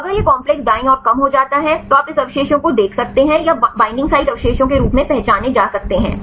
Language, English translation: Hindi, So, if it is reduce to the complex right then you can see this residues or identified as the binding site residues fine